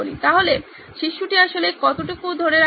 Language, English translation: Bengali, So how much does the child actually retain